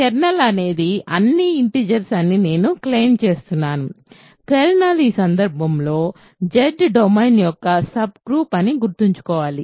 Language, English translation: Telugu, So, I claim the kernel is all integers remember kernel is a subset of the domain in this case Z